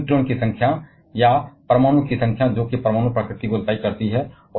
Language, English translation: Hindi, But the number of neutrons or number of nucleons that decides the nuclear nature